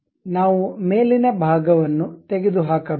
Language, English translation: Kannada, So, the top portion we have removed